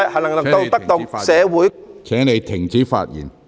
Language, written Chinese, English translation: Cantonese, 陸頌雄議員，請停止發言。, Mr LUK Chung - hung please stop speaking